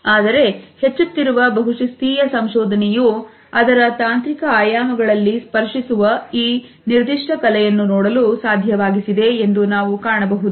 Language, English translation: Kannada, But now we find that the increasingly multidisciplinary research has made it possible to look at this particular art of touching in its technological dimensions